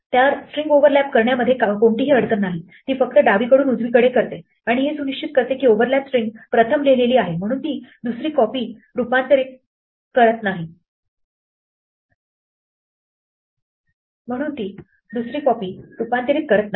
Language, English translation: Marathi, So, there is no problem about overlapping strings it just does it from right to left and it makes sure that the overlap string is first written, so it will not the second copy will not get transformed